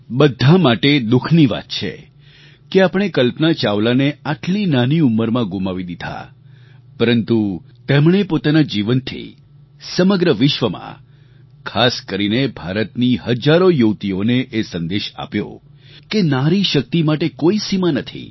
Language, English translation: Gujarati, It's a matter of sorrow for all of us that we lost Kalpana Chawla at that early age, but her life, her work is a message to young women across the world, especially to those in India, that there are no upper limits for Nari Shakti …